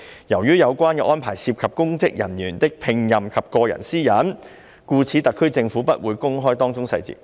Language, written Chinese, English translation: Cantonese, 由於有關安排涉及公職人員的聘任及個人私隱，故此特區政府不會公開當中細節"。, Since the relevant arrangements involve employment of public officers and personal privacy the HKSARG will not disclose the details